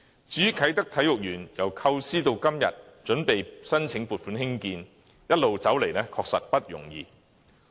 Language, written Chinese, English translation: Cantonese, 至於啟德體育園，由構思到今天準備申請撥款興建，一路走來確實不易。, The Kai Tak Sports Park has come a long and hard way since its conceptualization and today it reaches the preparation for funding application for its construction